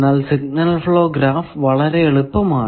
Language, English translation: Malayalam, Now, what is a signal flow graph